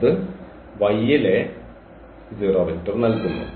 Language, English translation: Malayalam, So, this should give again the 0 vector in this Y